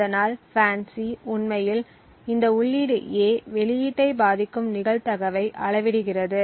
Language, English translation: Tamil, So, what FANCI actually measures, is the probability with which this input A affects the output